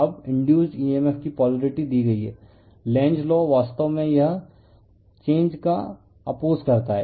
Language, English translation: Hindi, Now, polarity of the induced emf is given / Lenz’s law actually it opposes the change